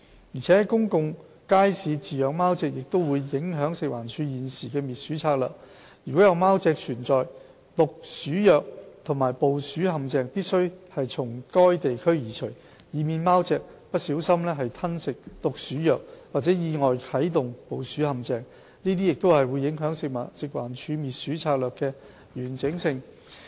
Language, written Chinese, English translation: Cantonese, 而且，在公眾街市飼養貓隻也會影響食環署現時的滅鼠策略：如果有貓隻存在，毒鼠藥和捕鼠陷阱必須從該地區移除，以免貓隻不小心吞食毒鼠藥或意外啟動捕鼠陷阱，這樣將影響食環署滅鼠策略的完整性。, Moreover keeping cats in public markets will also affect the current anti - rodent strategy of FEHD If there are cats rodenticides and traps must be removed from the area to prevent cats from accidentally swallowing rodenticides or activating the rodent traps . This will affect the integrity of FEHDs anti - rodent strategy